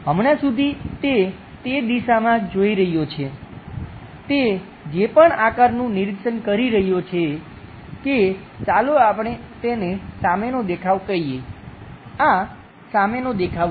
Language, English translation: Gujarati, As of now, he is looking in that direction, whatever the shape he is observing that let us call front view, this one is the front view projection